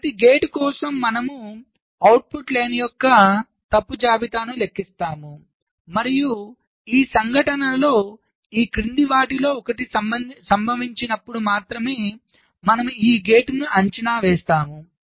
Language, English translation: Telugu, so for every gate we compute the fault list of the output line and we evaluate this gate only when one of the following this events occur